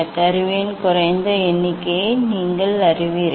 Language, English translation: Tamil, that is you know the least count of the instrument